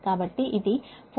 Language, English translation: Telugu, so it is a